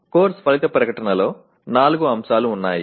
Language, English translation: Telugu, The Course Outcome statement has four elements